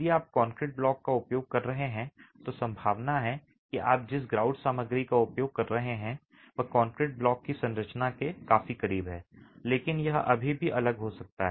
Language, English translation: Hindi, If you are using concrete blocks, the chances are that the grout material that you are using is close enough to the concrete blocks composition, but it still could be different